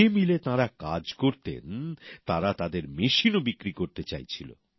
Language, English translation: Bengali, The mill where they worked wanted to sell its machine too